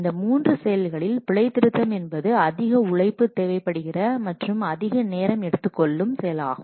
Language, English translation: Tamil, So out of these three testing activities debugging is the most laborious and time consuming activity